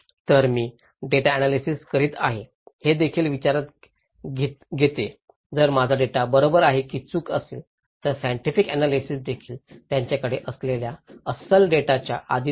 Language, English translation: Marathi, So, what I am analysing is also under considerations if my data is right or wrong, the scientific analysis is also under subject of that what authentic data they have